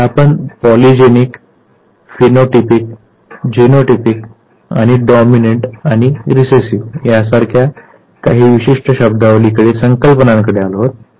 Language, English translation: Marathi, Now, we come to certain important terminologies polygenic, phynotypic, genotypic, dominant and recessive